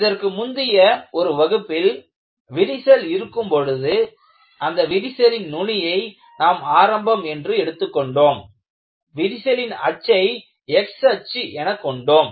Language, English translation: Tamil, And even, in one of our earlier class, we have shown that when you have a crack, I showed that crack tip is taken as the origin, crack axis is taken as the x axis